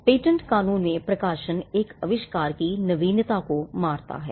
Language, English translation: Hindi, In patent law the publication kills the novelty of an invention